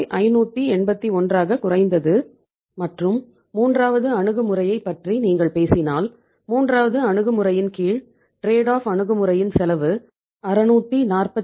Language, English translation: Tamil, 581 and if you talk about the third approach so under the third approach which is the trade off approach cost is little more that is 642